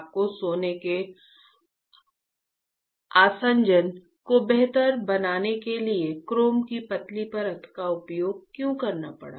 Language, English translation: Hindi, Why you I had to use thin layer of chrome to improve the adhesion of gold